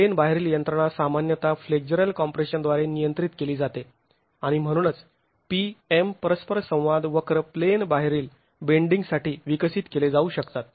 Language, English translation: Marathi, The out of plane mechanism is typically governed by flexual compression and so PM interaction curves can be developed for out of plane bending